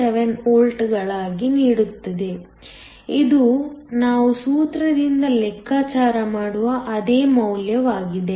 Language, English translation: Kannada, 78 volts; which is the same value that we calculate from the formula